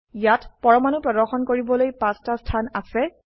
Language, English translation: Assamese, Here we have 5 positions to display atoms